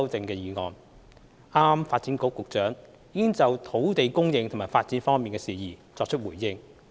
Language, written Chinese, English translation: Cantonese, 剛才發展局局長已就土地供應和發展方面的事宜作出回應。, The Secretary for Development has just responded to matters relating to land supply and development